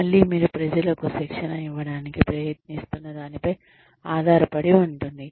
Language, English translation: Telugu, Again, depends on, what you are trying to give people, training in